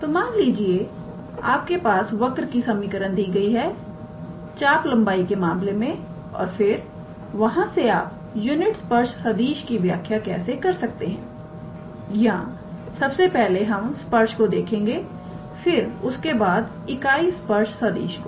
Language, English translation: Hindi, So, suppose you have a given equation of a curve in terms of arc length and from there how we define the unit tangent vector or first of all the tangent afterwards the unit tangent vector we will see that here alright